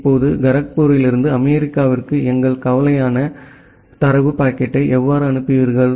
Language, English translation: Tamil, Now, from Kharagpur to USA how will you forward the data packet that is our concern